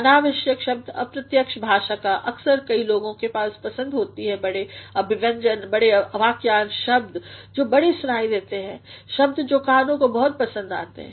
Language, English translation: Hindi, Unnecessary use of indirect language, sometimes many people have got a fancy for using big expressions, big phrases, words that sound high, words that are very pleasing to ears